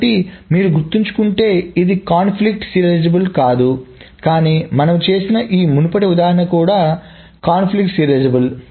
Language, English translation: Telugu, So if you remember, this was not conflict serializable, but this previous example that we did was also conflict serializable